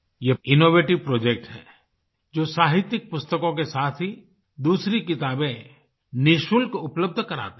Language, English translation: Hindi, This in an innovative project which provides literary books along with other books, free of cost